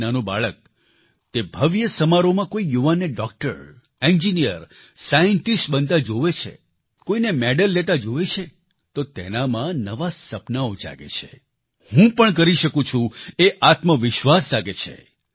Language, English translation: Gujarati, When a small child in the grand function watches a young person becoming a Doctor, Engineer, Scientist, sees someone receiving a medal, new dreams awaken in the child 'I too can do it', this self confidence arises